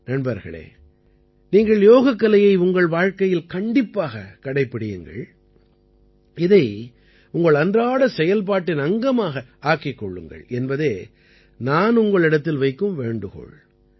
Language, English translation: Tamil, Friends, I urge all of you to adopt yoga in your life, make it a part of your daily routine